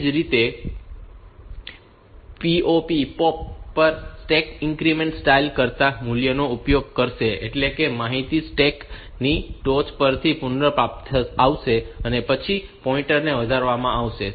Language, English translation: Gujarati, Similarly, on the POP operation the stack of first it will use the value use than increment style; that is, the information will be retrieve from the top of the stack, and then the pointer will be incremented